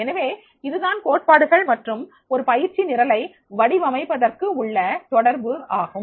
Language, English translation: Tamil, So this is about the relationship of the theories and designing a training program